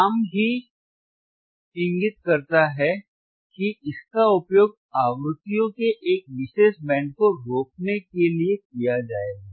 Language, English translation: Hindi, The name itself indicates that it will be used to stop a particular band of frequencies right